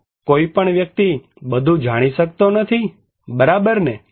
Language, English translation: Gujarati, So, no person can know everything, right